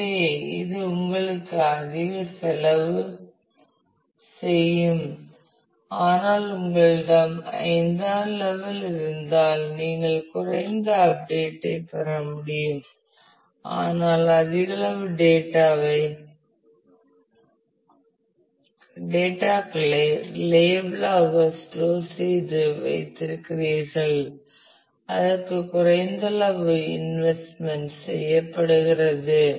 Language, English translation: Tamil, So, which will give you which will cost you more, but if you have a level 5, then you will be able to get a low update, but have large amount of data stored reliably with less amount of money invested into that